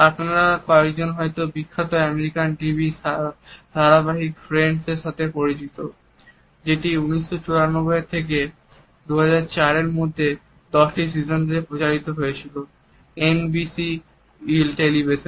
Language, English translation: Bengali, Some few of might be familiar with the famous American TV sitcom friends, which was aired between 1994 and 2004 for 10 seasons on NBC television